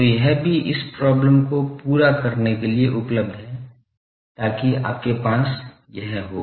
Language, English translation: Hindi, So, also these are available in done at this problem, so by that you can have this